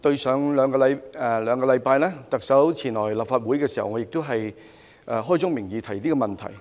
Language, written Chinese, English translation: Cantonese, 在兩星期前，特首前來立法會時，我亦開宗明義提出這個問題。, Two weeks ago when the Chief Executive came to the Legislative Council I raised this matter clearly